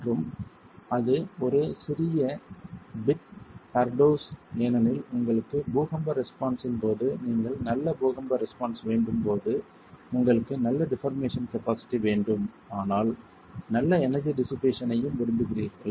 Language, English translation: Tamil, And that's a little bit of a paradox because when you have earthquake response, when you want good earthquake response, you want good deformation capacity but you also want good energy dissipation